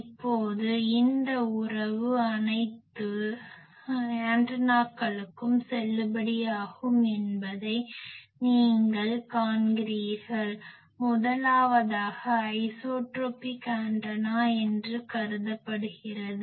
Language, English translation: Tamil, Now, you see this relation is valid for all the antennas, considered that the first one is an isotropic antenna